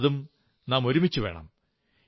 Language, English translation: Malayalam, But we must all come together